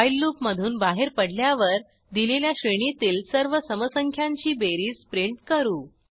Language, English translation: Marathi, When we exit the while loop, we print the sum of all the even numbers within the given range